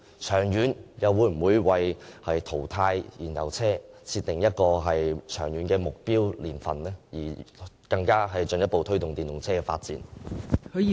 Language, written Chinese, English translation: Cantonese, 長遠來說，當局會否以淘汰燃油車為目標，並訂定目標年份，以進一步推動電動車的發展？, In the long run is it the target of the authorities to phase out petroleum vehicles? . Will it set a target year for achieving this objective as a way to promote the further development of EVs?